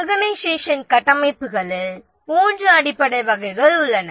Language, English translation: Tamil, There are three basic types of organization structures